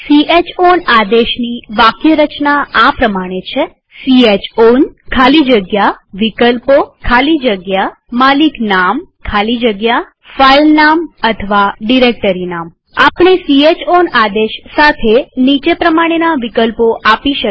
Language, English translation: Gujarati, The syntax of chown command is chown space options space ownername space filename or directoryname We may give following options with chown command